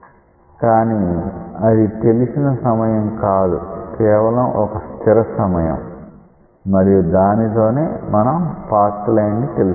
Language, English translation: Telugu, But, it is not a specified time; this is a fixed specified time and that is how you are going to find the path line